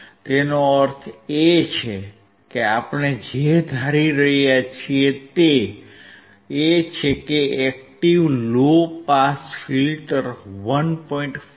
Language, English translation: Gujarati, that means, what we are assuming is that the active low pass filter will allow the frequency until 1